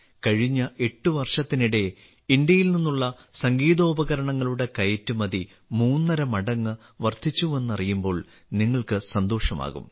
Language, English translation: Malayalam, You will be pleased to know that in the last 8 years the export of musical instruments from India has increased three and a half times